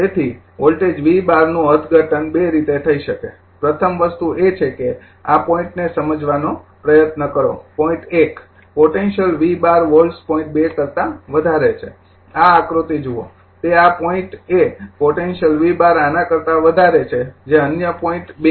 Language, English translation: Gujarati, So, the voltage V 12 to can be interpreted as your in 2 ways first thing is this point you try to understand first one is the point 1 is at a potential of V 12 volts higher than point 2, look at this diagram right, it this point is your at a potential of V 12 higher than this your what you call that other point 2